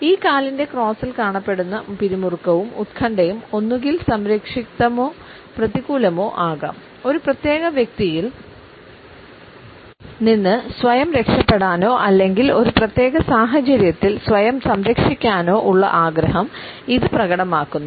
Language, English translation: Malayalam, The tension and anxiety which is visible in these crosses can be either protective or negative, but nonetheless it exhibits a desire to shield oneself from a particular person or to shield oneself in a given situation